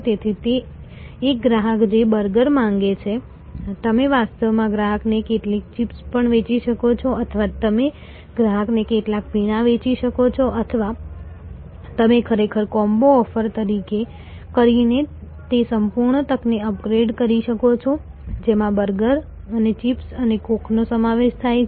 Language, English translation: Gujarati, So, a customer who is asking for burger, you can actually sell the customer also some chips or you can sell the customer some drinks or you can actually upgrade that whole opportunity by offering a combo, which are consists of burger and chips and coke and everything